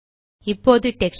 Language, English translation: Tamil, This is the Texture Panel